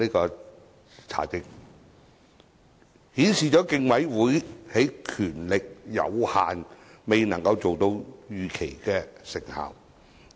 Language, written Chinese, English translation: Cantonese, 這在在顯示競委會權力有限，因此未能達到預期效果。, All this illustrates that due to its limited powers the Commission cannot achieve its desired results